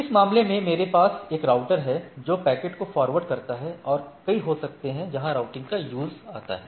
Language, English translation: Hindi, So, I have in this case a router which forwards the things etcetera and there can be multiple where the routing come into play